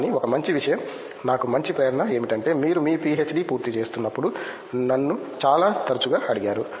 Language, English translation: Telugu, But one good thing, one good inspiration also for me was I was asked very frequently when you are completing your PhD